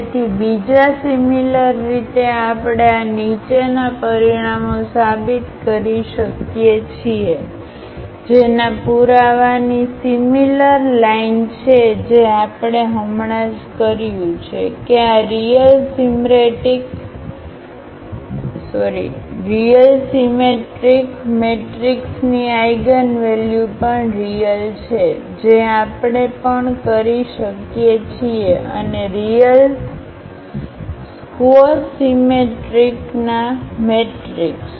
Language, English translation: Gujarati, So, another similarly we can prove these following results which have the similar lines of the proof which we have just done, that the eigenvalues of this real symmetric matrix are also real that is what we can also do and the eigenvalues of real a skew symmetric matrix